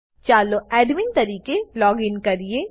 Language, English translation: Gujarati, Let us login as the admin